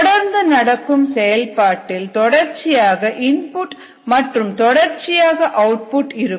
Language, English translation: Tamil, continuous operation, where there is a continuous input and a continuous output